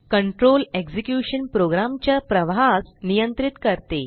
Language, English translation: Marathi, Control execution is controlling the flow of a program